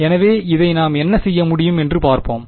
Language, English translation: Tamil, So, let us let see what we can do with this